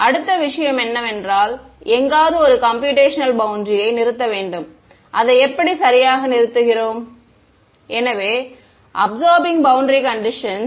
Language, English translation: Tamil, Next thing is we need to terminate a computitional boundary somewhere, how do we terminate it right; so, absorbing boundary conditions